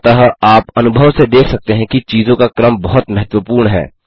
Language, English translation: Hindi, So you can see from experience that order of things are very important